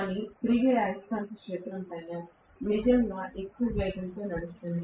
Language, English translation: Telugu, But the revolving magnetic field is really running at a very, very high speed